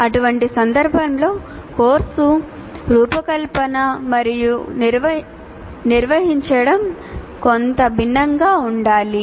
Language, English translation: Telugu, In such a case, organizing, designing and conducting the course will have to be somewhat different